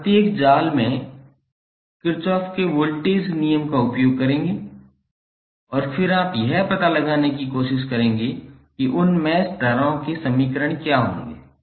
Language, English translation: Hindi, You will use Kirchhoff's voltage law in each mesh and then you will try to find out what would be the equations for those mesh currents